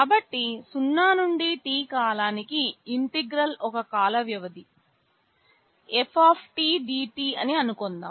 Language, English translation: Telugu, So, integral over the time 0 to T, let us say one time period f dt